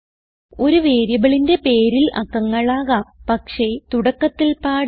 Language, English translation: Malayalam, A variable name can have digits but not at the beginning